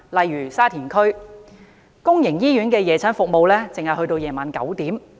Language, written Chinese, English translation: Cantonese, 以沙田區為例，公營醫院的夜診服務只直至晚上9時。, In Sha Tin for example public night clinic services are available up to 9col00 pm only